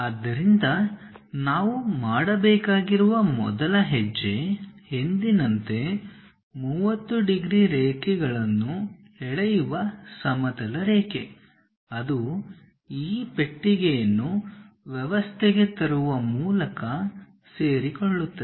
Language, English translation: Kannada, So, the first step what we have to do is as usual, a horizontal line draw 30 degrees lines, that coincides by bringing this box into the system